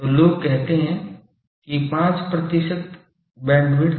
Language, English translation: Hindi, So, people say 5 percent bandwidth